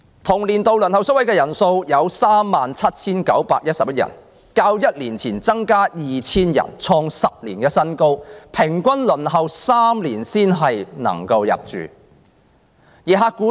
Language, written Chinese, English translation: Cantonese, 同年度，輪候宿位的長者有 37,911 人，較1年前增加 2,000 人，創10年新高，而他們的平均輪候時間是3年。, In the same year there were 37 911 elderly people waiting for such places an increase by 2 000 when compared to the number of the previous year . It was record high in 10 years with an average waiting time of three years